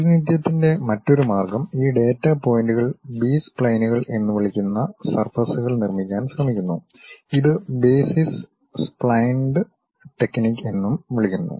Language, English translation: Malayalam, ah The other way of representation, these data points trying to construct surfaces called B splines, which is also called as basis splines technique